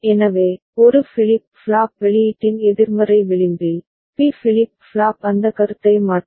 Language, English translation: Tamil, So, at the negative edge of the A flip flop output right, the B flip flop will toggle that is the idea